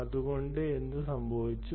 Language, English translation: Malayalam, ok, so what happened